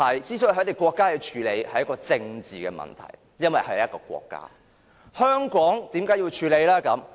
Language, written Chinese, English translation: Cantonese, 這些國家要處理的便是政治問題，因為它們本身是國家，但香港為何要處理呢？, This is a political problem faced by such countries since they are all sovereign states but why is it necessary for Hong Kong to deal with the problem?